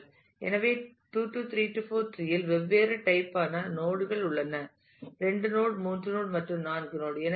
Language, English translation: Tamil, So, 2 3 4 tree have different types of node : 2 node 3 node and 4 node